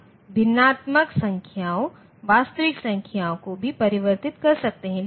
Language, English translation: Hindi, We can also convert fractional numbers, real numbers